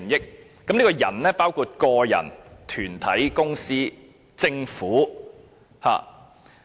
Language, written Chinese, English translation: Cantonese, 這裏提到的"人"，包括個人、團體、公司和政府。, Persons here means members of the human race organizations companies and governments